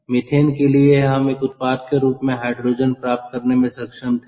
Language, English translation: Hindi, we looked at chemical energy storage, for from methane we were able to get hydrogen as a product